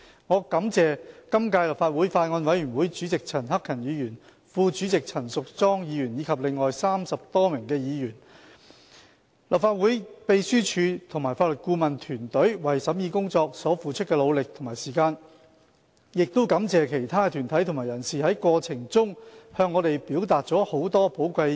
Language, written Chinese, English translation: Cantonese, 我感謝今屆立法會法案委員會主席陳克勤議員、副主席陳淑莊議員及另外30多名議員、立法會秘書處和法律顧問團隊為審議工作所付出的努力和時間，亦感謝其他的團體和人士，在過程中向我們表達了很多寶貴的意見。, I would like to thank Mr CHAN Hak - kan and Ms Tanya CHAN Chairman and Deputy Chairman of the Bills Committee of the current Legislative Council as well as some other 30 Members the Legislative Council Secretariat and the legal advisory team for their efforts and time spent in scrutinizing the Bill . My gratitude also goes to other deputations and individuals for expressing many valuable views to us during the process